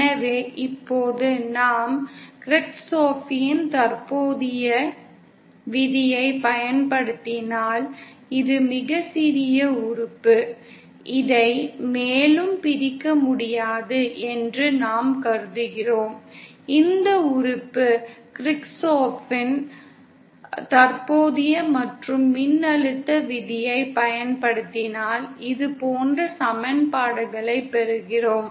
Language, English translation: Tamil, So now if we apply the KirchoffÕs current law now this is very small element which we are assuming can be divided no further, this element if we apply KirchoffÕs current and voltage laws then we get equations like this